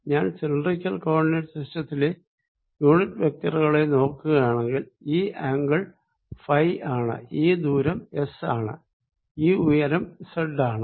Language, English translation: Malayalam, if i look at the unit vectors in cylindrical coordinates, this angle is phi, this distance is s and this height is z